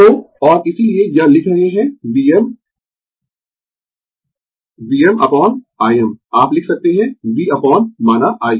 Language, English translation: Hindi, So, and that is why it is writing V m I V m upon I m, you can write V upon say I